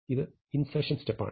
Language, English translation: Malayalam, So, this is the insertion step